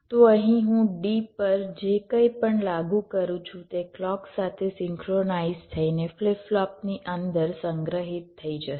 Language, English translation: Gujarati, so here, whatever i apply to d, that will get stored inside the flip flop in synchronism with a clock